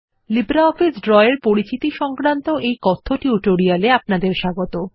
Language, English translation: Bengali, Welcome to the Spoken Tutorial on Introduction to LibreOffice Draw